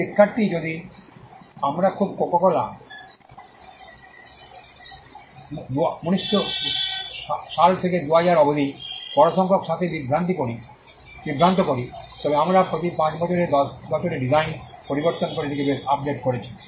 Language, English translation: Bengali, Student: in case we too confusing coco cola with a large number of right from 1900 to 2000, we have changed this quite updated on every 10 years every 5 years we changes design